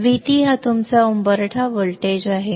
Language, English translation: Marathi, V T is your threshold voltage